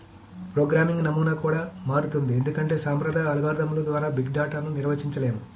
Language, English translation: Telugu, So the programming paradigm itself changes because big data cannot be handled by traditional algorithms maybe